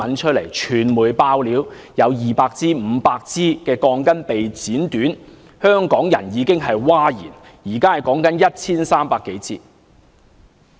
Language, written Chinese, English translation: Cantonese, 傳媒"爆料"有200支、500支鋼筋被剪短，香港人已經譁然，現時說的是 1,300 多支。, The media exposed that 200 or even 500 steel reinforcement bars had been shortened and Hong Kong people were already in an uproar . Now some 1 300 steel reinforcement bars are said to be questionable